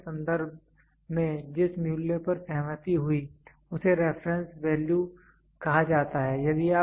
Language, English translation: Hindi, The value which agreed the value which agreed on reference of for comparison is called as reference value